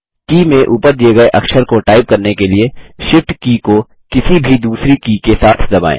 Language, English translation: Hindi, To type the exclamation mark, press the Shift key together with 1